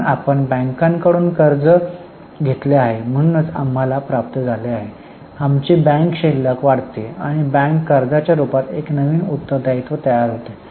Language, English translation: Marathi, So, we have obtained loan from bank, so we receive our bank balance increases and a new liability in the form of bank loan is created